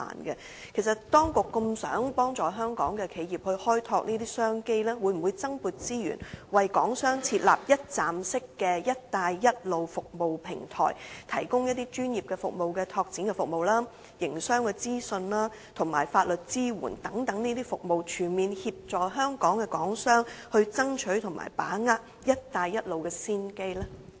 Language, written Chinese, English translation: Cantonese, 其實，當局希望幫助香港的企業去開拓這些商機，會否增撥資源，為港商設立一站式的"一帶一路"服務平台，提供專業的市場拓展服務、營商資訊及法律支援等服務，全面協助港商爭取及把握"一帶一路"倡議的先機呢？, In fact as the authorities wish to assist Hong Kong enterprises in developing these business opportunities will they increase resources to set up a one - stop Belt and Road service platform for Hong Kong businesses which offers professional market development services business information legal support etc . so as to help them fully seize and capitalize on the opportunities brought by the Belt and Road Initiative?